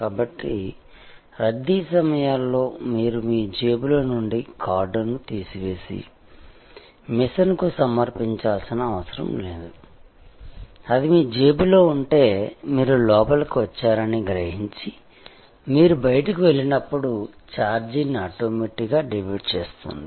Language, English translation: Telugu, So, in the rush hours, you did not have to even take out the card from your pocket and present it to the machine, if it was in your pocket, it sensed that you have got in and it automatically debited the fare, when you went out